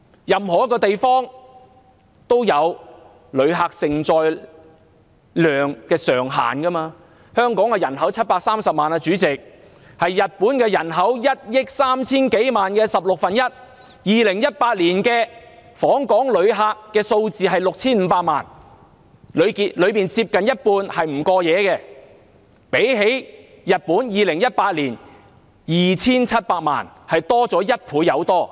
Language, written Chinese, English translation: Cantonese, 任何一個地方都有旅客承載量上限，香港人口730萬，是日本人口1億 3,000 多萬的十六分之一 ；2018 年訪港旅客數目是 6,500 萬，當中接近一半是不過夜旅客，相比日本2018年的 2,780 萬人次，多出一倍有多。, There is a maximum tourism carrying capacity for every place . Hong Kong has a population of 7.3 million people which is one sixteenth of Japans population of more than 130 million . However the number of inbound visitors in 2018 was 65 million more than double Japans 27.8 million in 2018